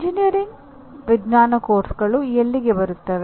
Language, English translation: Kannada, Now where do the engineering science courses come to